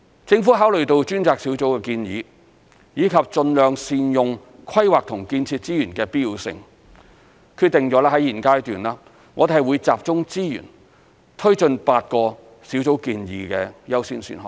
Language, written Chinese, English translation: Cantonese, 政府考慮到專責小組的建議，以及盡量善用規劃及建設資源的必要性，決定在現階段，我們會集中資源推進8個小組建議的優先選項。, Considering the recommendations of the Task Force and the need to capitalize on the planning and construction resources the Government has decided to concentrate its resources on taking forward the eight priority options recommended by the Task Force at this stage